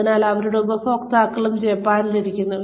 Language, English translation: Malayalam, So, and their customers are sitting in Japan